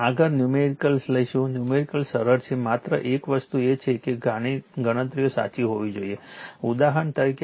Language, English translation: Gujarati, Next will take the numerical; numericals are easy only thing is calculations should be correct for example